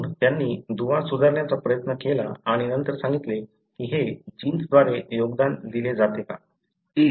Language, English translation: Marathi, So, they tried to link and then say whether these are contributed by the genes